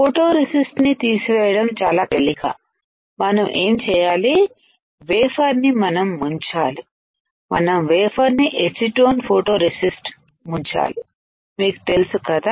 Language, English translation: Telugu, For removing photoresist very easy what we can do we can dip the wafer, we can dip this wafer into acetone photoresist removal you know it right